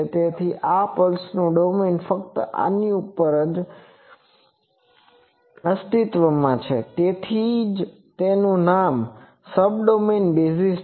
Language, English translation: Gujarati, So, domain of this pulse is existing only over this, that is why it is a name Subdomain basis